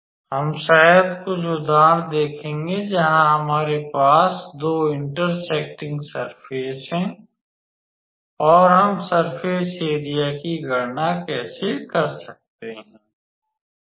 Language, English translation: Hindi, We will probably see some examples where we have two intersecting surfaces and how we can calculate the surface area